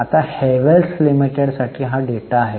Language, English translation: Marathi, Now, this is the data for Havels Limited